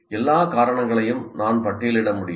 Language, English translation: Tamil, Can I list all the causes